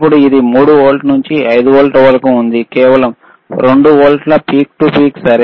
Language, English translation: Telugu, Now, the it is from 3 volts to 5 volts, so, only 2 volts peak to peak ok